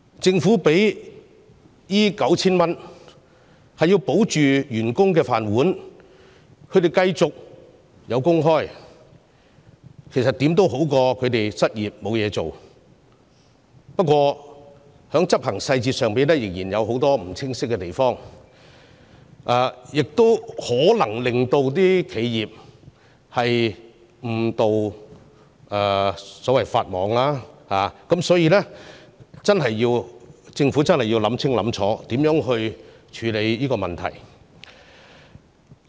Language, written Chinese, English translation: Cantonese, 政府提供這項上限為 9,000 元的工資補貼，目的是要保住員工的"飯碗"，讓他們繼續有工開——這總比失業好——不過，"保就業"計劃的執行細節仍有很多不清晰的地方，企業可能因而誤墮法網，所以，政府真的要考慮清楚如何處理那些問題。, In order to keep employees in their jobs―this is preferable to leaving them unemployed―the Government provides this wage subsidy which is capped at 9,000 . However with many implementation details of ESS remaining unclear enterprises may break the law inadvertently and it is thus necessary for the Government to carefully consider how to address these problems